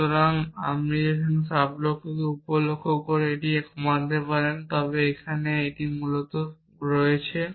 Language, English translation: Bengali, So, you can reduce the sub goal to these 2 sub goals, but there is and here essentially